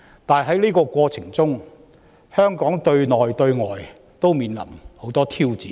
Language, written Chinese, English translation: Cantonese, 但是，在這過程中，香港對內對外均面臨許多挑戰。, However in this course Hong Kong faces many internal and external challenges